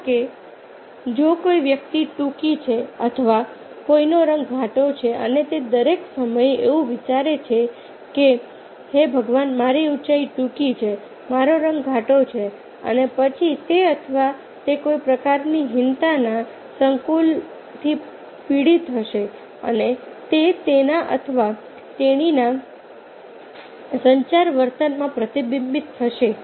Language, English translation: Gujarati, that also, if a person, suppose somebody short or somebody color is dark, and all the time he or she is thinking that, oh my god, my height is short, my color is dark, and then she or he will be suffering from some sort of inferiority complex and that will be reflected in his or her communication behavior